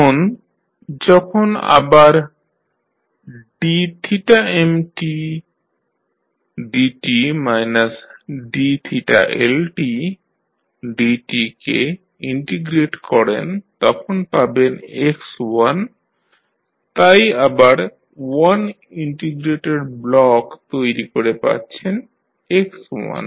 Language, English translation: Bengali, Then when you again integrate theta m dot minus theta L dot, you will get x1 so again you create 1 integrator block and you get the x1